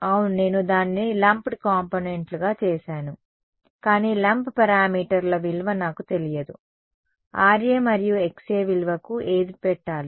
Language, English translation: Telugu, Yeah, I have made it into lumped components, but I do not know the value of the lump parameters what should I put for the value of Ra and Xa